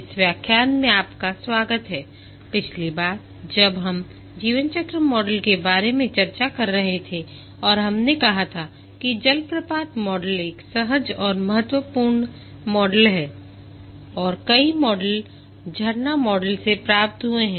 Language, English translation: Hindi, time we were discussing about lifecycle models and we had said that the waterfall model is a intuitive and important model and many models have been derived from the waterfall model